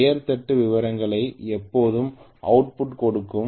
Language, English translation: Tamil, The name plate details always give the output okay